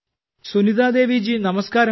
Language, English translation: Malayalam, Sunita Devi ji, Namaskar